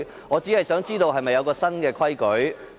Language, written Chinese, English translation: Cantonese, 我只想知道是否有新規矩呢？, I only wish to know if a new rule is being enforced